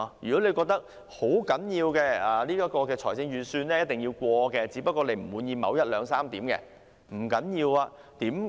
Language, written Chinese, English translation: Cantonese, 如果你認為預算案必須通過，只不過不滿意當中某一、兩、三點時，不要緊。, No problem if you think that the budget must be passed but you are only dissatisfied with one two or three points there